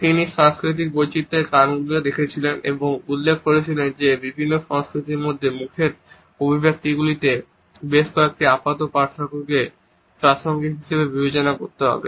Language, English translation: Bengali, He also looked into the reasons of cultural variations and mentioned that several apparent differences in facial expressions among different cultures have to be considered as contextual